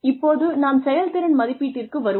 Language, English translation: Tamil, Now, we come to performance appraisal